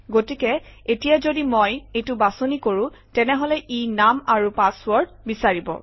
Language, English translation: Assamese, So now if I choose this, It will come and say, give the name and password